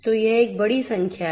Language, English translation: Hindi, So, this is a huge number